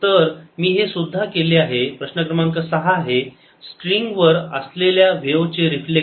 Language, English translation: Marathi, so i had also done this is problem number six: reflection of wave on a string